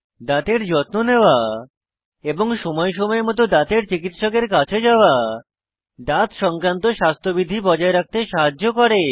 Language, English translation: Bengali, Remember, taking care of your teeth,and visiting a dentist from time to time helps maintain good oral hygiene